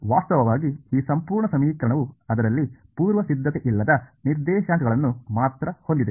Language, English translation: Kannada, In fact, this whole equation has only unprimed coordinates in it ok